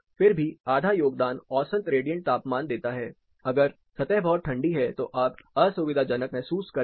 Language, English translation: Hindi, But still you will have half of the contribution made by mean radiant temperature, if the surface is really cold you will still be feeling uncomfortable